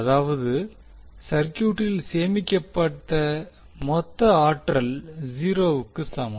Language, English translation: Tamil, That means the total energy stored in the circuit is equal to 0